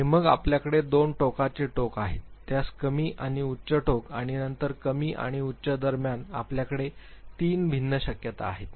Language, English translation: Marathi, And then you have two extreme ends; the low and the high end of it and then between the low and high you have three different possibilities